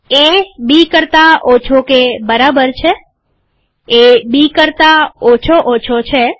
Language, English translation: Gujarati, A less than or equal to B, A less than less than B